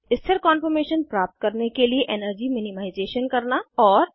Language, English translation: Hindi, * Energy minimization to get a stable conformation